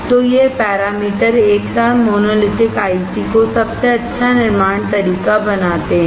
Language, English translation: Hindi, So, these parameters together make monolithic ICs are the best mode of manufacturing